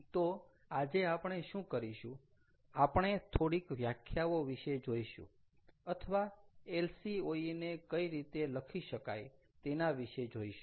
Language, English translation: Gujarati, so today what we will do is we are going to look at some of the definitions of or how do we write lcoe